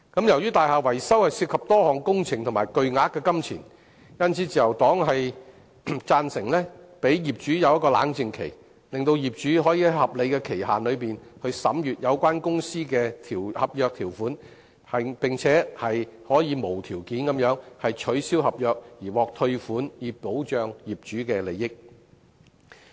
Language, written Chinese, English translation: Cantonese, 由於大廈維修涉及多項工程及巨額金錢，因此，自由黨贊成給予業主冷靜期，讓業主可以在合理限期內審閱有關公司的合約條款，並且可以無條件地取消合約而獲退款，以保障業主的利益。, As building maintenance involves multiple works items and huge sums of money the Liberal Party agrees to introducing a cooling - off period for owners so that they can examine the contract terms of the related companies within a reasonable period of time and unconditionally cancel the contracts with refunds so as to protect the rights and interests of owners